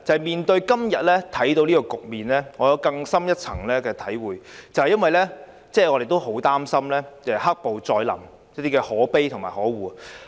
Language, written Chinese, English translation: Cantonese, 面對今天的局面，我有更深一層的體會，因為我們也很擔心"黑暴"再臨，這真是可悲和可惡。, I have gained a deeper insight from the current situation . This is because we are also worried about the return of black violence . It is sad and detestable